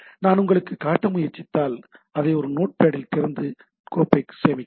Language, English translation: Tamil, Say if I try to show you, say I open it in a note pad and save it file save as, so I saved it on the desktop